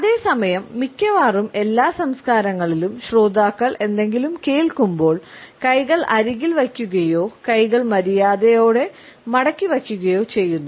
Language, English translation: Malayalam, At the same time we find that in almost all the cultures the listeners listen with hands by the side or hands folded politely